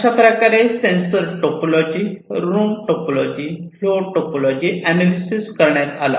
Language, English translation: Marathi, So, these are the different types of sensor topology, room topology, and flow topology, that they have analyzed